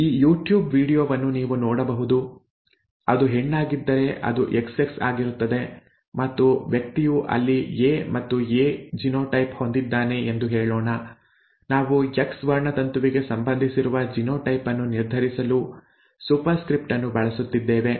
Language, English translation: Kannada, You can take a look at this youtube video, if it is a female it is XX and let us say that the person has A and A A and A genotype there, we are using a superscript to determine the genotype, that is associated with the X chromosome